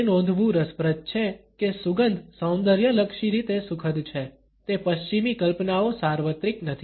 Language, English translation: Gujarati, It is interesting to note that the Western notions of which fragrances are aesthetically pleasant is not universal